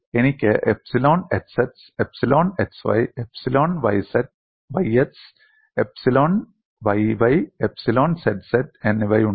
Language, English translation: Malayalam, The strain tensor will appear like this; I have epsilon xx epsilon xy, epsilon yx epsilon yy as well as epsilon zz